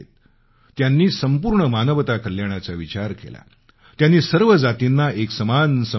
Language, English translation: Marathi, He envisioned the welfare of all humanity and considered all castes to be equal